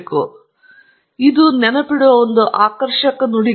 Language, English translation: Kannada, So, it is just a catchy phrase to remember